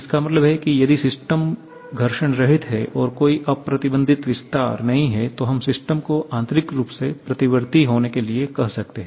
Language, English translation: Hindi, That is if the system is frictionless and there is no unrestrained expansion, then we can call the system to be internally reversible